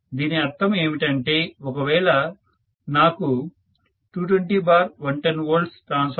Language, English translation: Telugu, Which means if I know this 220 by 110 V transformer 2